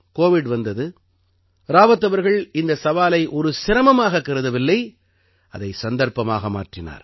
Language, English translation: Tamil, When Covid came, Rawat ji did not take this challenge as a difficulty; rather as an opportunity